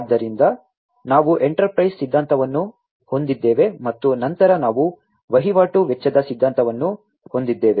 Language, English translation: Kannada, So, we have the enterprise theory, and then we have the transaction cost theory